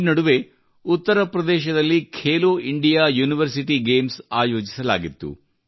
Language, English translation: Kannada, For example, Khelo India University Games were organized in Uttar Pradesh recently